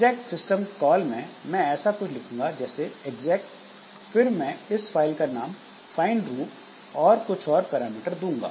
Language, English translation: Hindi, So, what I will do in the exec system call I will write something like this, I will give the name of the file find roots and I will give other parameters